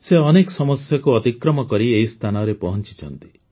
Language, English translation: Odia, She has crossed many difficulties and reached there